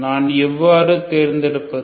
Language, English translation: Tamil, How do I choose